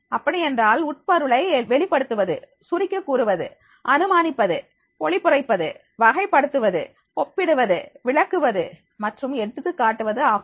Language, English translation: Tamil, It means that interpreting, summarising, inferring, paraphrasing, classifying, comparing, explaining and exemplifying